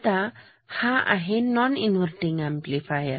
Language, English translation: Marathi, Now, this is non inverting amplifier ok